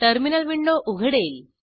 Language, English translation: Marathi, This will open Terminal window